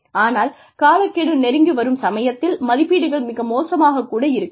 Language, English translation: Tamil, But, very close to a deadline, appraisals may be very bad